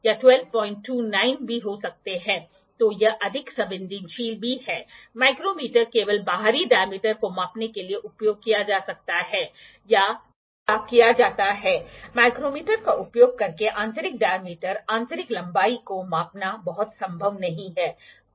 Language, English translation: Hindi, So, it is more sensitive also the micrometer can or is used to measure the external diameters only, it is not very much possible to measure the internal diameters internal lengths using the micrometer